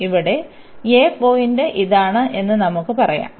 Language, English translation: Malayalam, So, let us say this is the point a here